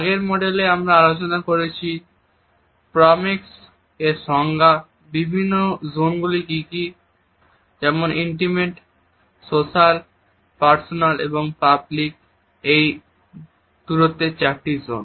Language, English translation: Bengali, In the previous module we had discussed the basic definitions of Proxemics, what are the different zones namely the four zones of intimate social, personal and public distances